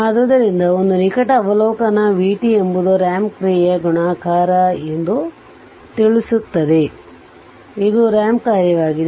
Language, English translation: Kannada, So, a close observation reveals that v t is multiplication of a ramp function, it is a ramp function